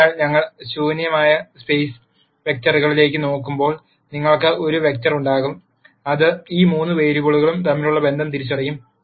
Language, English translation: Malayalam, So, when we look at the null space vector you will have one vector which will identify the relationship between these three variables